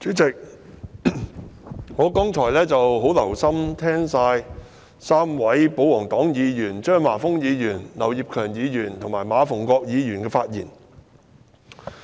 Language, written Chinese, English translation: Cantonese, 主席，我剛才很留心聆聽3位保皇黨議員，即張華峰議員、劉業強議員和馬逢國議員的發言。, Chairman just now I have listened attentively to the speeches made by three royalist Members namely Mr Christopher CHEUNG Mr Kenneth LAU and MA Fung - kwok